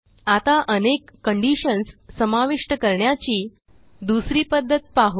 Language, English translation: Marathi, Okay, let us also learn another way to include multiple conditions